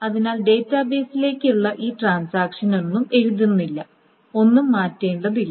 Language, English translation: Malayalam, So nothing is being written by any of these transactions to the database and nothing needs to be changed